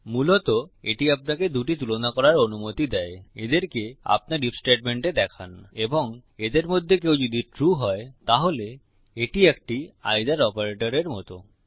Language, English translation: Bengali, Basically it allows you to take two comparisons, show them in your if statement and if either of them are true then its like an either operator..